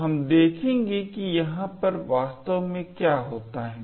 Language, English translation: Hindi, So, we will go into what exactly happens over here